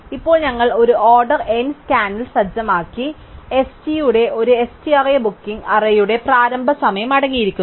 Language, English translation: Malayalam, Now, we set up in one order n scan, an array ST such that ST of i contains the starting time of booking array